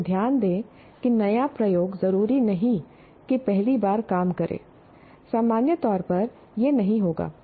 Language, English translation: Hindi, But note that new experiment does not necessarily work the first time